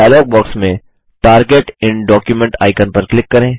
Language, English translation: Hindi, Click on the Target in document icon in the dialog box